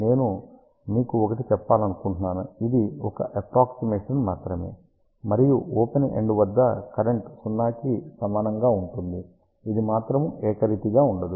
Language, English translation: Telugu, I just want to tell you this is an approximation again at the open end current will be equal to 0, it will not remain uniform